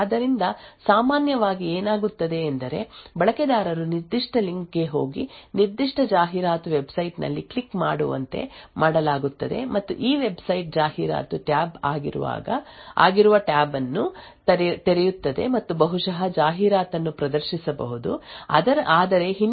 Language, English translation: Kannada, So what would typically happen is that the user is made to go to a particular link and click on a particular advertising website and this website would open a tab which is an advertisement tab and maybe show display an advertisement but also in the background it would be running the prime and probe attack